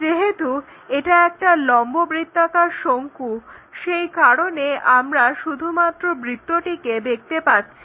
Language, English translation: Bengali, It is the right circular cone that is also one of the reason we will see only circle